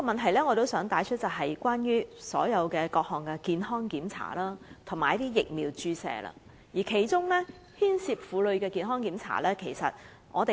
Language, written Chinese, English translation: Cantonese, 我想帶出的另一問題，是各項健康檢查及疫苗注射，包括婦科健康檢查。, Another issue which I would like to bring up is the provision of various medical examinations and vaccinations including gynaecological check - up